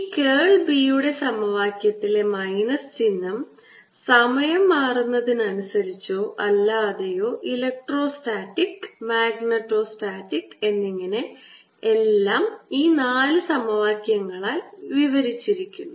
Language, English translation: Malayalam, again, i want to remind you this minus sign, the curl of b equation, whether they are changing with the time, not changing with time, electrostatic, magnetostatic, everything is described by these four equations